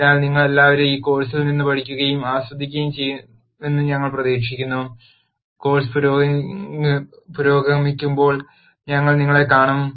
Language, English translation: Malayalam, So, I hope all of you learn and enjoy from this course and we will see you as the course progresses